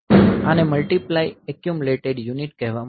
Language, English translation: Gujarati, So, this is called multiply accumulate unit